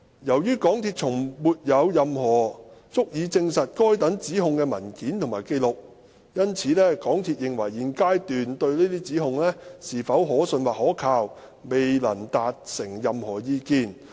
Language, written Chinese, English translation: Cantonese, 由於港鐵公司從沒有任何足以證實該等指控的文件或紀錄，因此港鐵公司現階段對這些指控是否可信或可靠，未能達成任何意見。, MTRCL has not seen any documentation or records which substantiates the allegations and emphasizes that it does not form any opinion on the credibility or reliability of the allegations